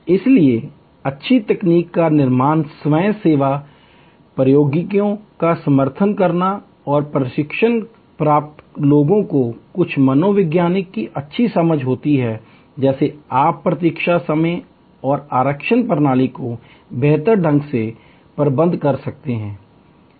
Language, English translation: Hindi, So, creating good technological supports self service technologies and a training people good understanding of the few psychologies like this you can manage the waiting time and the reservation system much better